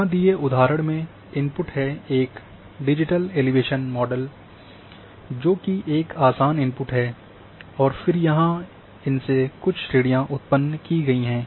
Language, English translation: Hindi, Example here is that the same input,a digital elevation model is easier and then few classes are been generated here